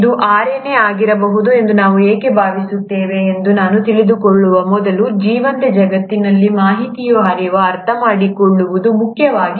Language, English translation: Kannada, Now before I get to why we think it would have been RNA, it's important to understand the flow of information in a living world